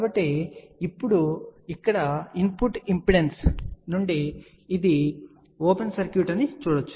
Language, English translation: Telugu, So, over here now, we can look from the input impedance this is an open circuit